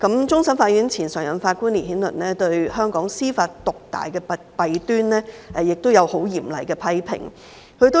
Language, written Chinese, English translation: Cantonese, 前終審法院常任法官烈顯倫對香港司法獨大的弊端，曾作出很嚴厲的批評。, Justice LITTON former Permanent Judge of CFA has severely criticized the flaw of dominance of Hong Kongs judiciary